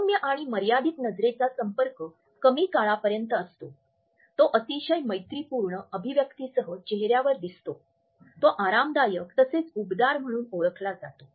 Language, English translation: Marathi, Soft and restricted eye contact is less prolonged, it is accompanied by relaxed and very friendly facial expressions, it is perceived as casual friendly warm etcetera